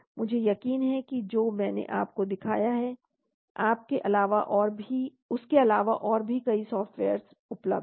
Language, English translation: Hindi, I am sure there are many more softwares available apart from what I have showed you